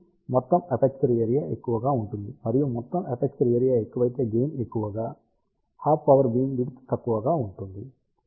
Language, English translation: Telugu, So, total aperture area will be more and if the total aperture area is more gain will be more and hence half power beamwidth will be small